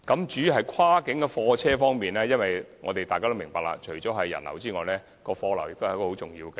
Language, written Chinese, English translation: Cantonese, 至於跨境貨車，大家也明白，除人流外，貨流也是大橋的重要效益。, As regards cross - boundary goods vehicles Members have to understand that apart from visitor flow the amount of freight is another important benefit which HZMB will bring